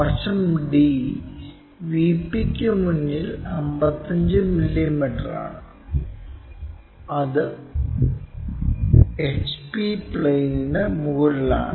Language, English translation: Malayalam, End D is 55 mm in front of a VP and it is above HP plane